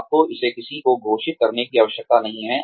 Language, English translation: Hindi, You do not have to declare it to anyone